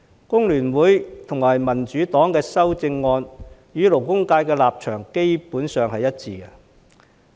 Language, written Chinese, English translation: Cantonese, 工聯會和民主黨的修正案與勞工界的立場基本上是一致的。, The position of the amendments of FTU and the Democratic Party basically dovetails with that of the labour sector